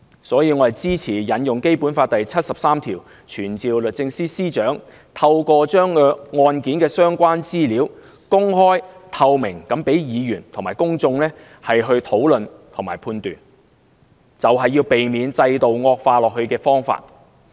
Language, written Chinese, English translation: Cantonese, 所以，我支持引用《基本法》第七十三條傳召律政司司長，透過公開案件的相關資料，讓議員和公眾討論和判斷，這是避免制度惡化的方法。, Therefore I support citing Article 73 of the Basic Law to summon the Secretary for Justice so as to let our Members and the public discuss and determine the case with the disclosed information concerned in a move to stop further deterioration of the system